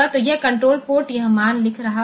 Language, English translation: Hindi, So, this control port will be writing this value